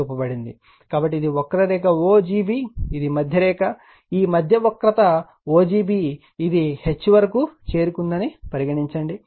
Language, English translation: Telugu, So, this is the curve o g b right, this is the middle line right, this middle your curve right o g b right, suppose it has reach up to H